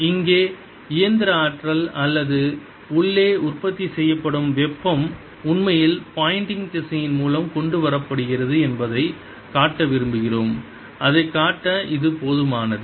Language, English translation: Tamil, we just want to show that the mechanical energy or the heat that is being produced inside is actually brought in by pointing vector, and this is sufficient to show that